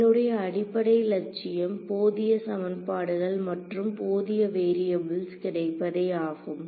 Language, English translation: Tamil, How will I get enough equations and enough variables